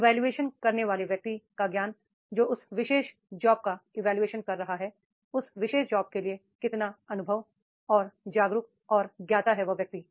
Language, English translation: Hindi, The knowledge of the evaluator that is the person who is evaluating their particular job, how much experience and aware and the known for that particular job